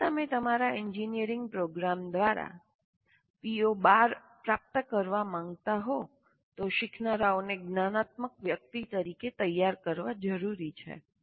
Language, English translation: Gujarati, So if you want to attain PO 12 through your engineering program, it is necessary to prepare learners as metacognitive persons